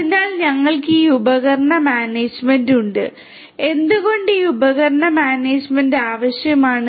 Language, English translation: Malayalam, So, we have this device management and why this device management is required